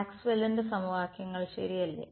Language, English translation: Malayalam, Maxwell’s equations right